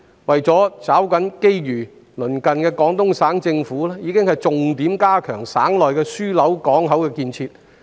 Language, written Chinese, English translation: Cantonese, 為了抓緊機遇，鄰近的廣東省政府已經重點加強省內的樞紐港口的建設。, In order to seize the opportunities the neighbouring Peoples Government of Guangdong Province has already worked hard to improve the hub port facilities in its province